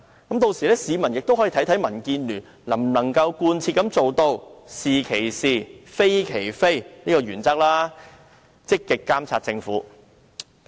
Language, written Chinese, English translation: Cantonese, 屆時市民就可看到民建聯能否貫徹"是其是，非其非"的原則，積極監察政府。, By then the public will see if DAB would stick to the principle of calling a spade a spade as they always claim and monitor the Government proactively